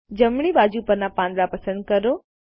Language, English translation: Gujarati, Select the leaves on the right